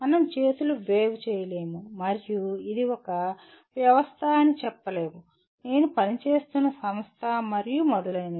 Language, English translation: Telugu, We cannot wave our hands and say it is a system, the company that I am working for and so on